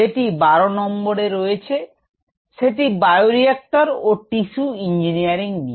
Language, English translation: Bengali, this is number twelve that i just mentioned: bioreactor for tissue engineering